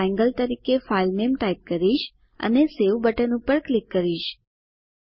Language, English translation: Gujarati, I will type the file name as Triangle and click on Save button